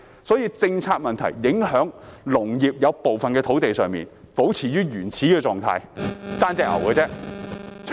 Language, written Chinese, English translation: Cantonese, 正因為政策問題，部分農地仍保持原始的狀態，只欠牛隻而已。, Given the policy issues at stake certain farm sites are left in the primitive state only minus the cattles